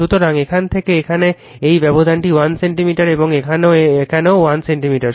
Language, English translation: Bengali, So, from here to here this gap is 1 centimeter right and here also 1 centimeter